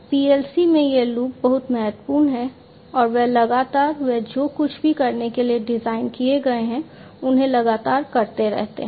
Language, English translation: Hindi, So, this loop is very important in PLC’s and they continuously, they keep on doing the stuff to continuously do whatever they are designed to perform